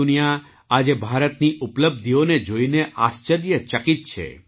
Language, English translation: Gujarati, The whole world, today, is surprised to see the achievements of India